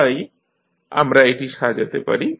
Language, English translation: Bengali, So, we can compile it